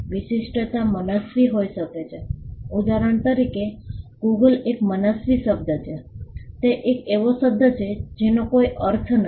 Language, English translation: Gujarati, The distinctiveness can be arbitrary; for instance, Google is an arbitrary word, it is a word which does not have any meaning